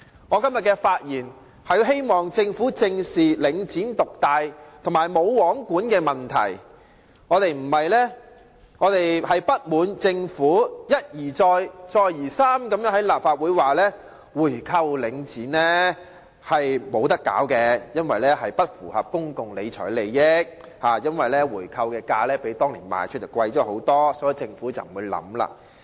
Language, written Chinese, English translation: Cantonese, 我今天發言，是希望政府正視領展獨大和"無皇管"的問題，我們不滿政府一而再、再而三地在立法會上表示無法購回領展，指出這樣並不符合公共理財原則，因為回購價會較當年的賣出價高很多，所以政府不會考慮。, Today I am speaking in the hope that the Government will squarely face the dominance of and lack of control over Link REIT . We are discontented that the Government has repeatedly stated in the Legislative Council that it cannot buy back Link REIT claiming that it does not meet the principle of public finance management because the price of a buy - back will be much higher than the then selling price . For this reason the Government will not give it any consideration